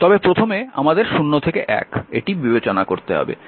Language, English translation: Bengali, But first you have to consider this because 0 to 1